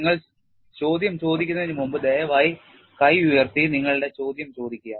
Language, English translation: Malayalam, Before you ask the questions, please raise your hand, and then ask your question